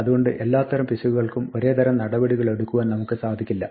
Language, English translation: Malayalam, So, we may not want to take the same type of action for every error type